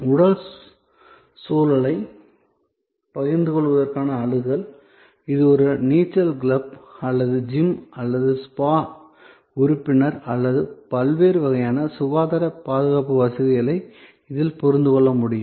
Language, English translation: Tamil, And access to share physical environment, this is like membership of a swimming club or gym or spa or various kinds of health care facilities can be understood in this